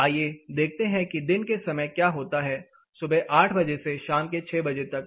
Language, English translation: Hindi, Let us see what happens in the day time it start say around 8 o clock in the morning it goes up to 6 pm in the evening